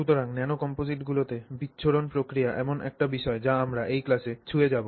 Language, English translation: Bengali, So, dispersion in nanocomposites is an aspect that we will touch upon through this class